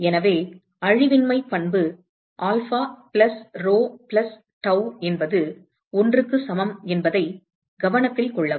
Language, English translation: Tamil, So, note that the conservation property is alpha plus rho plus tau equal to 1